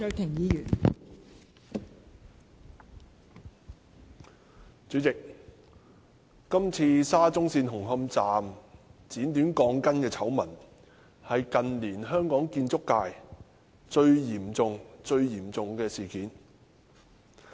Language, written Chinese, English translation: Cantonese, 代理主席，今次沙中線紅磡站剪短鋼筋的醜聞是近年香港建築界最嚴重的事件。, Deputy President the scandal of steel bars being cut short at Hung Hom Station of the Shatin - Central Link SCL is the most serious incident in our construction industry in recent years